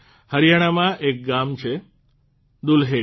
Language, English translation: Gujarati, There is a village in Haryana Dulhedi